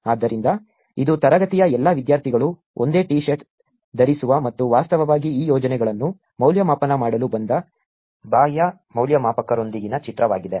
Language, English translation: Kannada, So, this is the picture with all the students from the class, wearing the same T shirt and with actually the external evaluators who to came to evaluate these projects